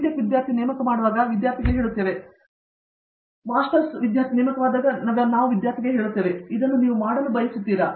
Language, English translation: Kannada, Tech student, we tell the student do this; when we recruit a Master student we tell the student, would you like do this